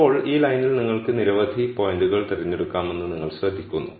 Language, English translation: Malayalam, Now, you notice that you could pick many many points on this line